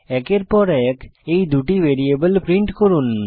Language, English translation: Bengali, Print those 2 variables one after the other